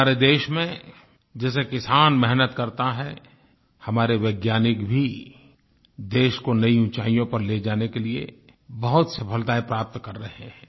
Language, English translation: Hindi, In our country, like the toiling farmers, our scientists are also achieving success on many fronts to take our country to new heights